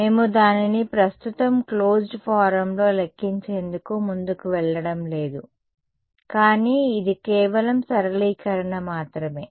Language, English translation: Telugu, We are not going to go ahead and calculate it in closed form right now, but is just a simplification